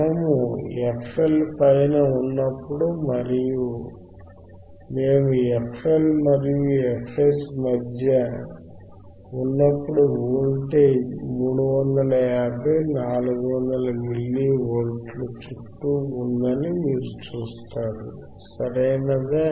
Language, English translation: Telugu, And or when we were between f L were between f L and f H, you would have seen the voltage which was around 350, 400 milli volts, right